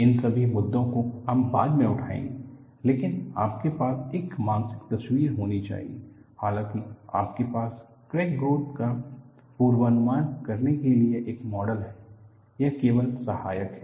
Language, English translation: Hindi, All these issues will take it up later, but you will have to have a mental picture, though you have a model to predict crack growth, it is only secondary